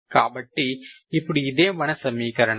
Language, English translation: Telugu, So this is the equation